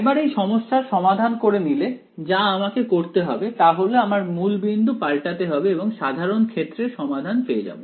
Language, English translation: Bengali, Once I get the solution to this problem, all I have to do is do a change shift of origin and I get my general solution ok